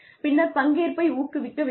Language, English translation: Tamil, Then, you encourage performance